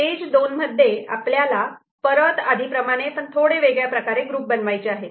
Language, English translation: Marathi, So, in the stage 2 what we do, we form groups again the way we have done before, but in a little bit different manner